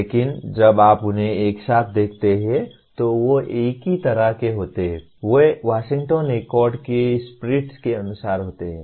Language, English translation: Hindi, But when you see them together, they are in the same kind of, they are as per the spirit of Washington Accord